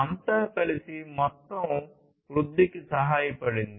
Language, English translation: Telugu, So, everything together has helped in the overall growth